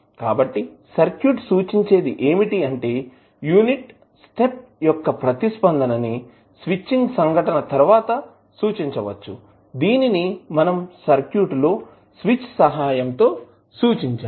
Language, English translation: Telugu, So, this can be represented, the unit step response can be represented with the switching event which is represented with the help of switch in the circuit